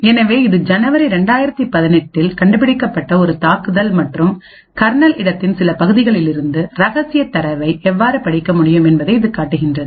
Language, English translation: Tamil, an attack which was discovered in January 2018 and it showed how we could actually read secret data from say parts of the kernel space